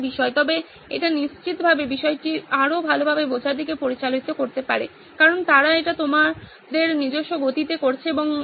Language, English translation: Bengali, But it may lead to better understanding of the topic for sure because they are doing it at your own pace, and doing that